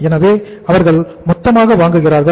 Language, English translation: Tamil, So they buy in bulk